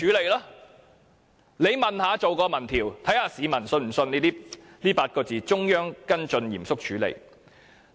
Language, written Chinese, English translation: Cantonese, 大家不妨進行一項民調，看看市民是否相信這8個字：中央跟進，嚴肅處理？, Members may as well conduct an opinion poll to see if the public believe those few words They will follow up with the Central Government and deal with the matter seriously